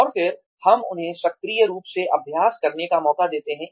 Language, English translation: Hindi, And then, we give them a chance, to practice it, actively